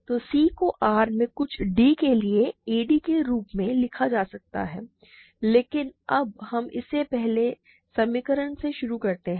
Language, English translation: Hindi, So, c can be written as a d for some d in R for some d in R, but now let us start with this earlier equation a is equal to b c